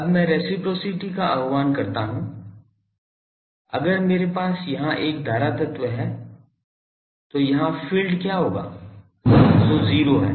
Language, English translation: Hindi, Now I invoke reciprocity so if I have a current element here, what will be the field here that is 0